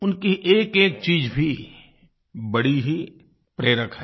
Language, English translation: Hindi, Each and everything about them is inspiring